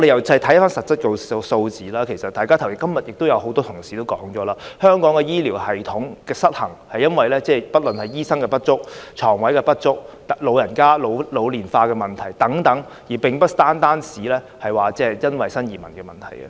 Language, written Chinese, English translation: Cantonese, 從實質數字看來，今天也有很多同事提到，香港的醫療系統失衡是由於醫生不足、床位不足，以及人口老化，而非單單在於新移民問題。, As evidenced by actual figures a number of colleagues have already pointed out today that the imbalance in the health care system of Hong Kong is caused by the problem of insufficient doctors and hospital beds as well as an ageing population while the increasing number of new immigrants is not the sole reason